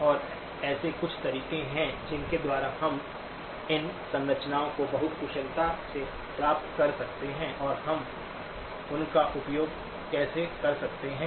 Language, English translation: Hindi, And what are some of the ways by which we can derive these structures very efficiently and how we can utilize them